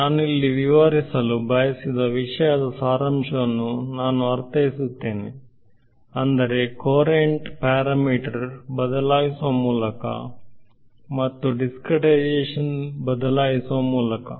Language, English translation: Kannada, But; I mean there sort of summary of what I wanted to sort of illustrate over here, is that by changing the courant parameter and by changing the discretization